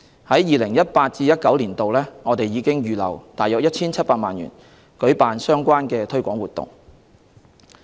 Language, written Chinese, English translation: Cantonese, 在 2018-2019 年度，我們已預留約 1,700 萬元舉辦相關推廣活動。, In 2018 - 2019 the Constitutional and Mainland Affairs Bureau has set aside about 17 million for organizing relevant promotion activities